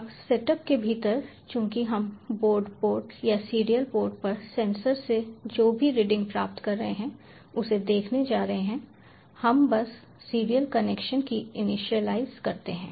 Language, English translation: Hindi, now, within the setup, since we are going to view whatever readings we have getting from the board or the sensor on the serial port, we just initialize the serial connection